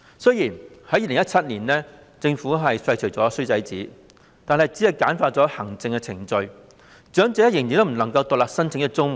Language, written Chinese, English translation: Cantonese, 雖然政府在2017年廢除了"衰仔紙"，但只是簡化了行政程序，長者仍然不能獨立申請綜援。, Although the Government did away with the bad son statement in 2017 this only amounted to streamlining of the administrative procedure but elderly people still cannot apply for CSSA on an individual basis